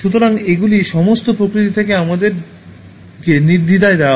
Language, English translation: Bengali, So, they are all freely given to us by nature